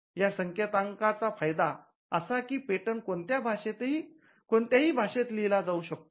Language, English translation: Marathi, The advantage of these codes is that regardless of in what language the patent is written